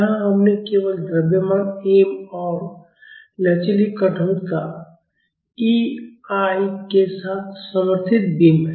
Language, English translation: Hindi, Here we have simply supported beam with mass m and flexural rigidity EI